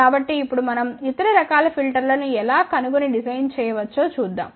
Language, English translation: Telugu, So, now let us just see how we can find out and design other type of filters ok